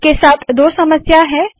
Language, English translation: Hindi, There are two problems with this